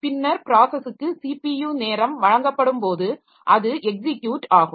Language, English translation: Tamil, And later on when the process is given CPU time, so it will be executing so that is the execute